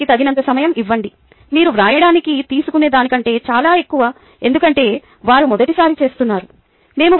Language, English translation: Telugu, give them enough time, much more than what you would take to write down because they are doing it for the first time